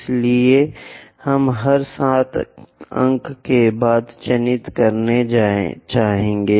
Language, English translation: Hindi, So, we would like to mark after every 7 points